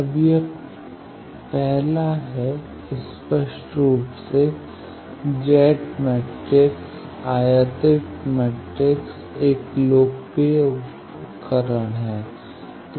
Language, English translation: Hindi, Now, this is the first that obviously, Z matrix incidence matrix is a popular tool